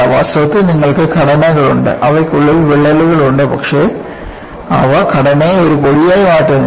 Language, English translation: Malayalam, In reality, you have structures, they have embedded crack, but they do not make the structure as a powder